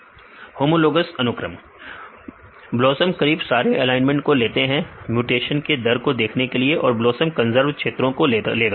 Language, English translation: Hindi, Yeah BLOSUM they takes the almost all the alignments to see the mutation rates BLOSUM will take the conserved regions